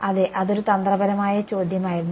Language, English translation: Malayalam, Yeah, it was a trick question